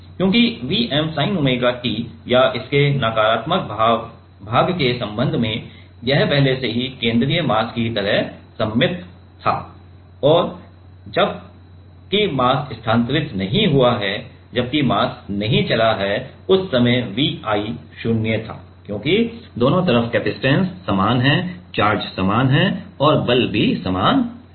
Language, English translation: Hindi, Because, the V m sin omega t or with respect to the negative part it was already in like the central mass was already symmetrical right; and while the mass has not moved, while the mass has not moved then, at that time V i was 0 because, both the side capacitance is same that the charges are same and the force is also same